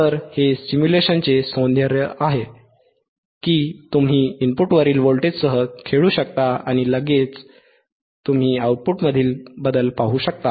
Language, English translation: Marathi, So, that is the beauty of stimulation, that you can play with the voltage othe at rthe input and immediately you can see the changinge in the output